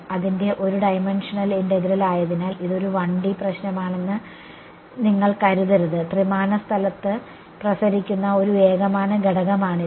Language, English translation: Malayalam, Just because its one dimensional integral you should not think that it is a 1D problem; it is a one dimensional element radiating in three dimensional space